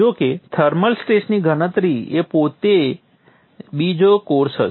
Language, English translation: Gujarati, However the thermal stress calculation will be another course in itself